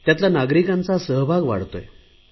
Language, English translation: Marathi, The participation of citizens is also increasing